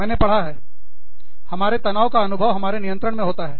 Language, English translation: Hindi, I have learnt that the, our perception of stress, lies within our control